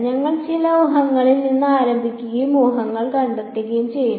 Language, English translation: Malayalam, We will start with some guess and keep it finding the guess